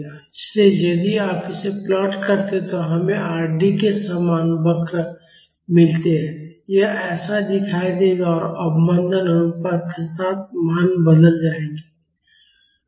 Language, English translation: Hindi, So, if you plot this we get curves similar to Rd, it will look like this and the values will change with the damping ratio